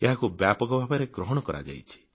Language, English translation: Odia, This has gained wide acceptance